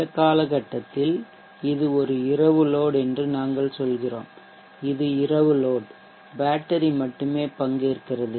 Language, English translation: Tamil, And during this period we say this is night load this is also night load where only the battery is participating